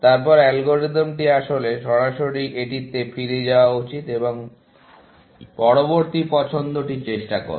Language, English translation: Bengali, Then, the algorithm should actually, directly jump back to this, and try the next choice, essentially